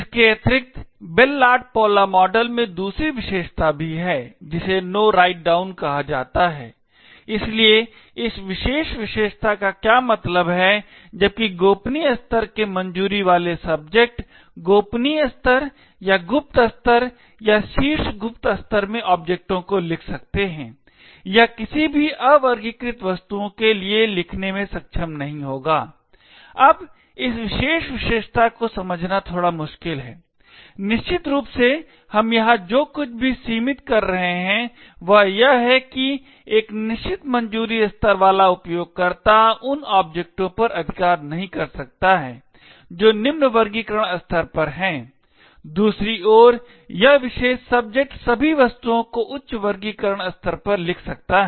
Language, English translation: Hindi, Additionally the Bell LaPadula model also has is second property known as No Write Down, so what this particular property means is that while a subject with a clearance level of confidential can write objects in confidential level or secret level or top secret level, it will not be able to write to any unclassified objects, now this particular property is a bit difficult to understand, essentially what we are restricting here is that a user with a certain clearance level cannot right to objects which are at a lower classification level, on the other hand this particular subject can write to all objects at a higher classification level